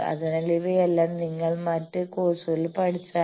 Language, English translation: Malayalam, So, all these you have learnt in your other courses